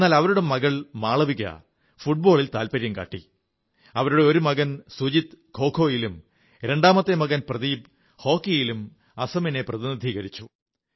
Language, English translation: Malayalam, But whereas her daughter Malvika showed her mettle in football, one of her sons Sujit represented Assam in KhoKho, while the other son Pradeep did the same in hockey